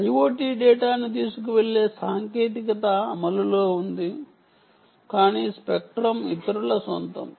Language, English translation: Telugu, technology for carrying i o t data is in place, but spectrum is owned by others